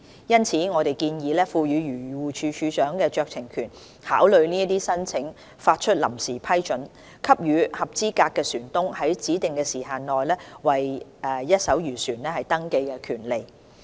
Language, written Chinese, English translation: Cantonese, 因此，我們建議賦予漁護署署長酌情權考慮這些申請，發出臨時批准，給予合資格船東在指定時限內為一艘漁船登記的權利。, Therefore under our proposal DAFC will be provided with the discretion to consider these applications by introducing and issuing a Provisional Approval of Registration which certifies a right to register a fishing vessel within a specified time frame to eligible vessel owners